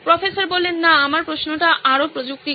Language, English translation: Bengali, No, my question is more technical in nature